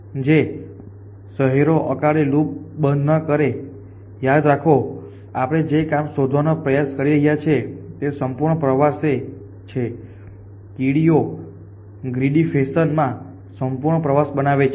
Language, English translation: Gujarati, Cities which will not close a loop in is remember the, that ask at we a try to find is complete tour the ants a so as at ask of constructing a complete tour in a Grady fashion